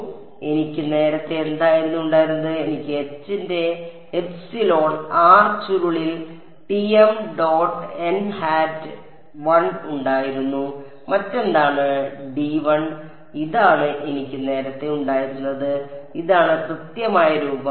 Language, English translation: Malayalam, So, what did I have earlier I had Tm dot n hat 1 by epsilon r curl of H what else d l this is what I had earlier and this is the exact form